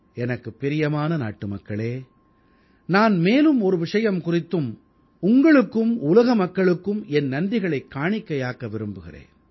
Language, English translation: Tamil, My dear countrymen, I must express my gratitude to you and to the people of the world for one more thing